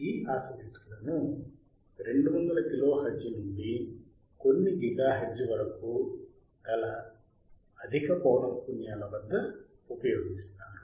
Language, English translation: Telugu, Theseis oscillators are used you see at higher frequenciesy from 200 kilo hertz to up to a few giga hertz